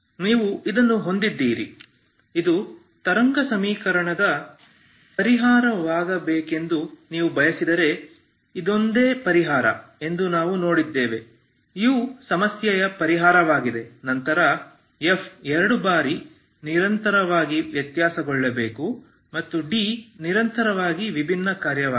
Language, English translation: Kannada, Now if we want this to be this is how you constructed if we want this to be a solution if you want this to be a solution of your wave equation and f has to be twice differentiable and g has to be one time differentiable function and it has to be continuous